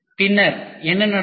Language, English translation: Tamil, And then What happens